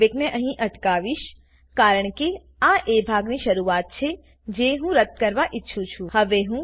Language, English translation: Gujarati, I will pause the playback here because this is the beginning of the part that I want to delete